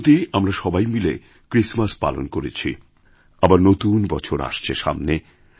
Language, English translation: Bengali, All of us have just celebrated Christmas and the New Year is on its way